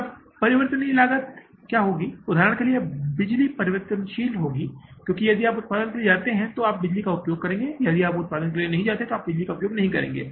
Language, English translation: Hindi, For example the power, power will be the variable because if you go for the production you will use the power but if you don't go for the production you will not use the power